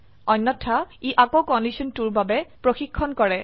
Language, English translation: Assamese, Else it again checks for condition 2